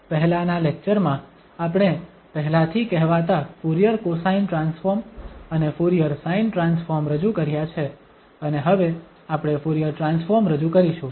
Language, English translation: Gujarati, In the previous lecture, we have already introduced the so called Fourier cosine transform and Fourier sine transform and now we will introduce the Fourier transform